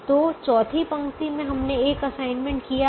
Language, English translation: Hindi, so in the fourth row we have made an assignment, so this is already assigned